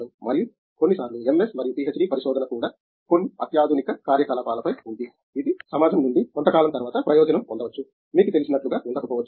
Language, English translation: Telugu, And, sometimes also a MS and PhD research is on some cutting edge activity which may be the society might benefit a little later from, it may not be like you know is not directly beneficial for them